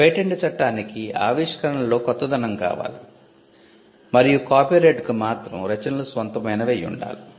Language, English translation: Telugu, So, patent law requires inventions to be novel and copyright requires works to be original